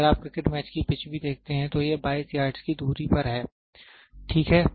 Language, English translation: Hindi, If you do look at a cricket match picture also, this is 22 yards, ok